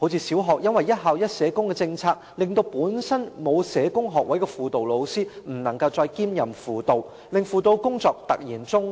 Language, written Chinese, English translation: Cantonese, 小學的"一校一社工"計劃令本身沒有社工學位的輔導老師不能夠再兼任輔導工作，輔導工作因而突然中斷。, The one school social worker for each school programme for primary schools renders counselling teachers without a social work degree unable to also perform counselling work causing such counselling work to suddenly stop